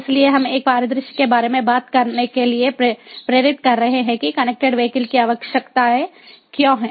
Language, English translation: Hindi, so we are talking about a scenario to motivate why connected vehicle, connected vehicles, are required